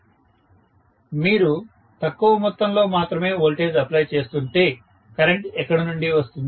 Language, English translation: Telugu, If you are applying only less amount of voltage, where will the current come from